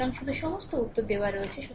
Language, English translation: Bengali, So, just you all answers are given right